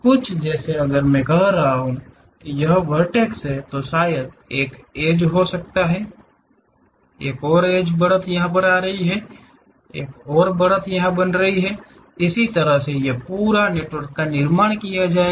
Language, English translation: Hindi, Something, like if I am saying this is the vertex perhaps there might be one edge, another edge is coming, another edge is going; that way a network will be constructed